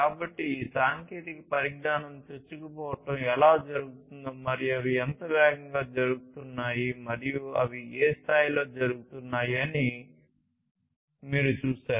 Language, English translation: Telugu, So, you see that how this disruption and penetration of these technologies are happening and how fast they are happening and in what scale they are happening right